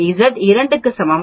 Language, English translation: Tamil, So Z is equal to 2